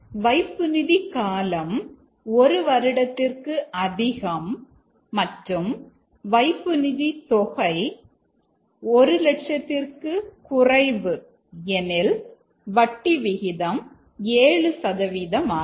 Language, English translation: Tamil, Now if the deposit is less than one year and the amount deposited is less than 1 lakh then the rate of interest is 6%